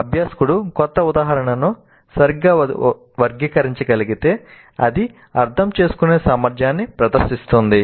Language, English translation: Telugu, So if the learner is able to classify a new instance correctly that demonstrates the understand competency